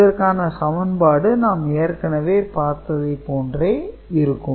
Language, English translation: Tamil, So, this is the kind of equation that we had seen before